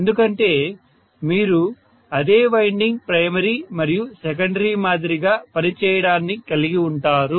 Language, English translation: Telugu, Because you are going to have the same winding acting like a primary as well as secondary, yes